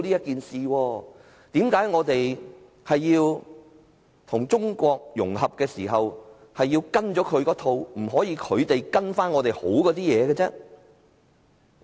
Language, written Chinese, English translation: Cantonese, 為何我們與中國融合時要跟從它的一套，而不可以是它跟從我們良好的做法？, In integrating with China why must we follow its practice rather than asking it to follow our good one?